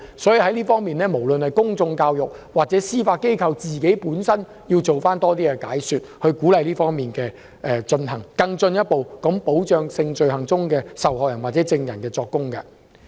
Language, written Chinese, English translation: Cantonese, 政府應透過公眾教育及司法機制本身多做解說，鼓勵屏障的使用，以進一步保障就性罪行作供的受害人或證人。, The Government should give more explanation through public education and the judicial system should encourage the victims and witnesses of sexual offences to use screens to further protect themselves when they give testimony